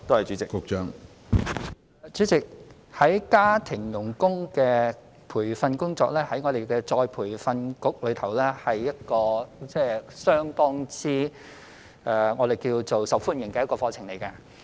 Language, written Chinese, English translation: Cantonese, 主席，有關家庭傭工的培訓工作，在僱員再培訓局是一個相當受歡迎的課程。, President regarding the training of domestic helpers the relevant courses provided at the Employees Retraining Board ERB are very popular